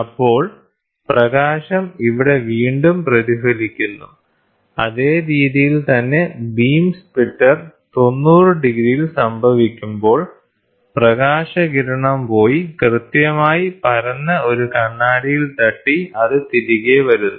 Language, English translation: Malayalam, Then the light gets reflected back here, right in the same way when the beam splitter is happening at 90 degrees, the light ray goes and hits a mirror which is exactly flat and then it comes back